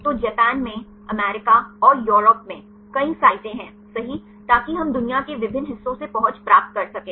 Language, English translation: Hindi, So, there are several sites in Japan, in US and in Europe right so that we can get the access from different parts of the world